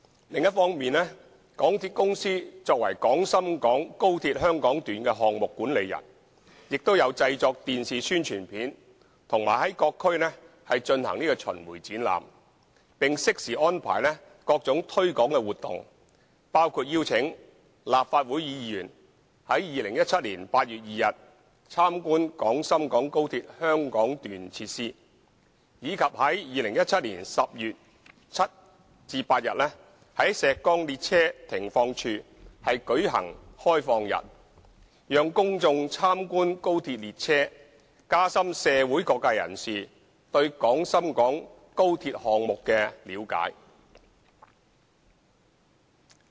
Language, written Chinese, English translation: Cantonese, 另一方面，港鐵公司作為廣深港高鐵香港段項目管理人，亦有製作電視宣傳片和在各區進行巡迴展覽，並適時安排各種推廣活動，包括邀請立法會議員於2017年8月2日參觀廣深港高鐵香港段設施，以及於2017年10月7日至8日在石崗列車停放處舉行開放日，讓公眾參觀高鐵列車，加深社會各界人士對廣深港高鐵項目的了解。, On the other hand as the project manager in implementing the Hong Kong Section of XRL the MTR Corporation Limited has also produced television infomercials and conducted roving exhibitions in various districts as well as arranging different promotional activities at suitable junctures such as inviting Members of the Legislative Council to tour the facilities of the Hong Kong Section of XRL on 2 August 2017 and conducting an open day of the Shek Kong Stabling Sidings for the public to view the XRL trains from 7 to 8 October 2017 so as to deepen the understanding of different sectors of the community towards the XRL project